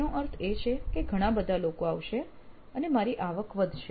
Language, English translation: Gujarati, That means there are lots of people would show up and actually my revenue would go up